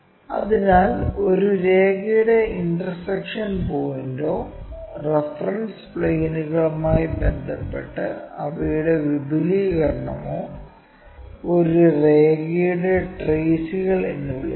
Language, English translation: Malayalam, So, the point of intersections of a line or their extension with respect to the reference planes are called traces of a line